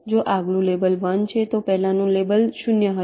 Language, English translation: Gujarati, if the next label is one, the previous label will be zero